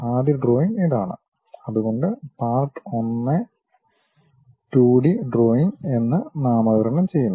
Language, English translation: Malayalam, This is the first drawing what we would like to have I am just naming it like Part1 2D drawing